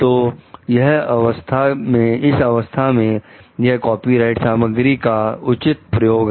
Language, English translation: Hindi, So, in that cases it is like a fair use of the copyrighted material